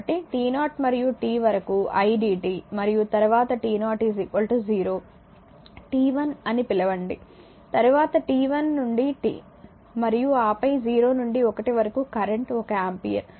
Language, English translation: Telugu, So, t 0 to t idt and then t 0 to your what you call this one t 0 to t 1 then t 1 to t right t 1 to t and then your is equal to the 0 to 1 in between 0 to 1 current is one ampere